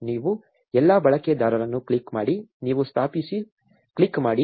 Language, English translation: Kannada, You click all users, you click install